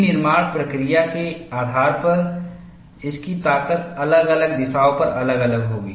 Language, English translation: Hindi, Depending on the manufacturing process, its strength will vary on different directions